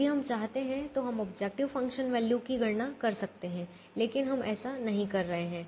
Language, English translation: Hindi, if we want, we can calculate the objective function value, but we are not doing it